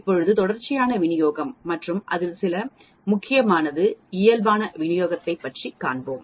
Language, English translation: Tamil, Let us now look at Continuous Distribution and the most important one out of that is Normal Distribution